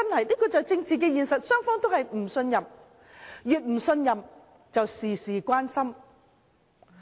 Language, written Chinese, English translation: Cantonese, 這就是政治現實，雙方都互不信任，越不信任便"事事關心"。, This is the reality in politics . If both sides lack mutual trust they would want to get their hands on everything